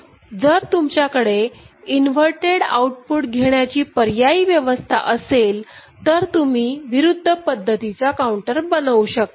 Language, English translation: Marathi, And if you have the option of taking the output from the inverted outputs, then the counter of opposite kind can be available